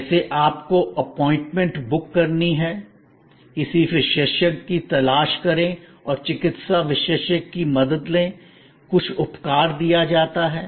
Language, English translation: Hindi, Like you have to book your appointment, search out a specialist and seek the help of a medical specialist, some treatment is given